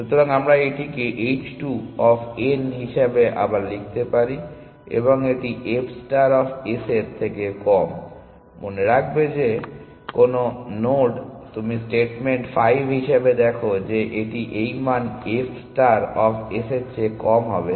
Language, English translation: Bengali, So, we can rewrite this as H 2 of n and this is less than f star of s; remember that any node that you take the statement 5 that view it that will have this value less than f star of s